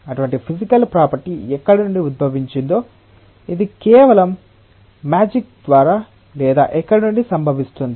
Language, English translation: Telugu, That where from such physical property originates is; it just by magic or where from it occurs